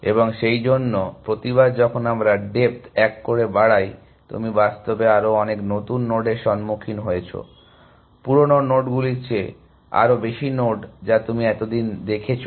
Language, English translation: Bengali, And therefore, every time we increase the depths by one, you encountered many more new nodes in fact, more you nodes then the old nodes that you had seen so far